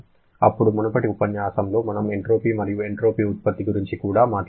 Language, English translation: Telugu, Then, in the previous lecture, we talked about the entropy and entropy generation